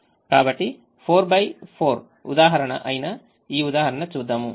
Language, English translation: Telugu, so let us look at this example, which is a four by four example